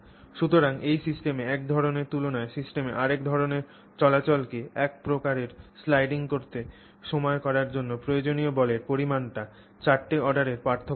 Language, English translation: Bengali, So, 4 orders of magnitude difference in the amount of force that is required to enable one kind of sliding, one kind of movement in a system relative to another kind of movement in the system